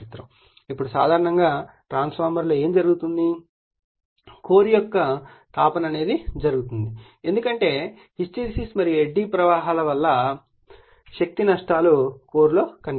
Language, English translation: Telugu, Now, generally what happened in a transformer that heating of the core happens because of your what you call that energy losses due to your hysteresis and eddy currents right shows in the core